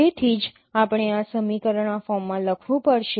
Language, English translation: Gujarati, So this can be written in this form